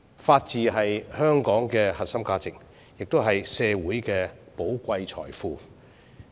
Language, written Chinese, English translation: Cantonese, 法治是香港的核心價值，也是社會的寶貴財富。, The rule of law is a core value of Hong Kong and a valuable asset to society